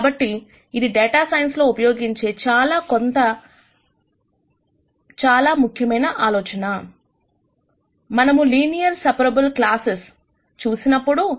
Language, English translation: Telugu, So, this is a very important idea that we will use in data science quite a bit, when we looked at linearly separable classes